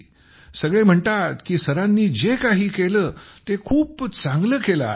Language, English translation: Marathi, Everyone is feeling that what Sir has done, he has done very well